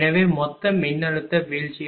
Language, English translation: Tamil, So, total that mean total voltage drop 14